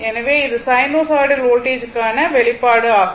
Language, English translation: Tamil, So, this is the expression for the sinusoidal voltage, right